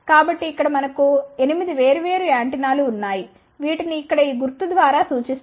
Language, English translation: Telugu, So, here we have 8 different antenna which are represented by this symbol here